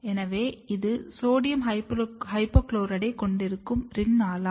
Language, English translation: Tamil, So, this is Rin Ala which contains sodium hypochlorite